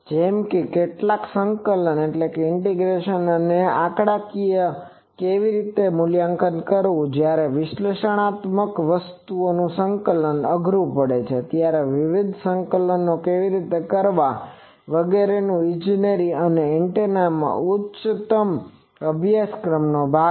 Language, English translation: Gujarati, Like, some integrations how to evaluate that numerically how to evaluate various integrations when analytic integration becomes tougher, those are part of engineering and those are part of antenna engineering higher courses